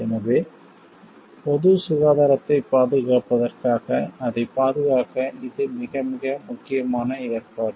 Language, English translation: Tamil, So, to protect for that to safeguard for public health this is a very very important provision given